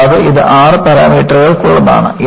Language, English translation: Malayalam, And, this is for six parameters